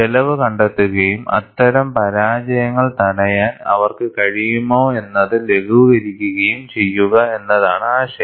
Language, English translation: Malayalam, The idea is, find out the cost and mitigate, whether they could prevent such failures